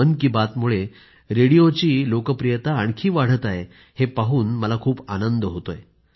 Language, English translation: Marathi, I am overjoyed on account of the fact that through 'Mann Ki Baat', radio is rising as a popular medium, more than ever before